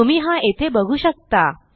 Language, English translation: Marathi, You can see here